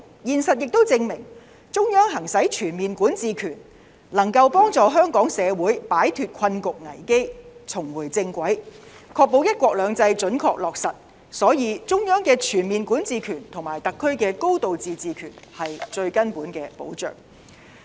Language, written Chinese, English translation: Cantonese, 現實亦證明中央行使全面管治權能夠幫助香港社會擺脫困局危機，重回正軌，確保"一國兩制"準確落實，所以，中央的全面管治權和特區的"高度自治"權是最根本的保障。, It has also been proven that the exercise of its overall jurisdiction by the Central Government can help Hong Kong to get away from its predicament and crisis to get back to the right track and to ensure the accurate implementation of the one country two systems principle . For that reason the Central Governments overall jurisdiction and the SARs high degree of autonomy are the most fundamental guarantee